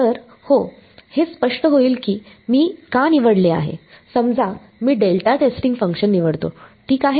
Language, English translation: Marathi, So, yeah, it will become clear why I am chosen supposing I choose the delta testing functions ok